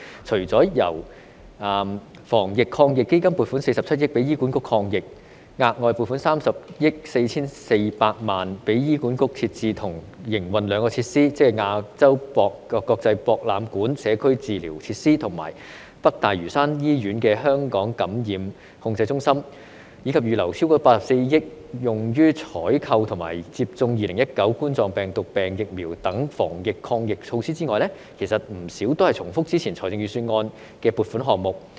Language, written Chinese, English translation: Cantonese, 除了由防疫抗疫基金撥款47億元給醫管局抗疫，額外撥款30億 4,400 萬元給醫管局設置和營運兩個設施，即亞洲國際博覽館社區治療設施和北大嶼山醫院香港感染控制中心，以及預留超過84億元用於採購和接種2019冠狀病毒病疫苗等防疫抗疫措施外，其實不少都是重複之前預算案的撥款項目。, Apart from the funding of 4.7 billion allocated from the Anti - epidemic Fund to support the anti - epidemic work of HA; an additional 3.044 billion provided for HA to establish and operate two facilities namely the Community Treatment Facility at the AsiaWorld - Expo and Hong Kong Infection Control Centre at the North Lantau Hospital; and more than 8.4 billion earmarked for the procurement and administration of COVID - 19 vaccines and other anti - epidemic measures many items are actually repeats of the funding proposals in the previous budget